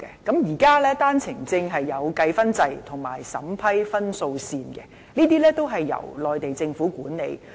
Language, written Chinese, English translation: Cantonese, 現時在單程證制度下設有打分制及審核分數線，這些均由內地政府管理。, Under the existing OWP scheme there is a point - based system under which eligibility points are given and all these are managed by the Mainland authorities